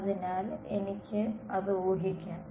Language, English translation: Malayalam, So, I can assume that